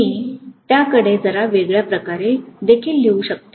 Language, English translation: Marathi, I can also look at it a little differently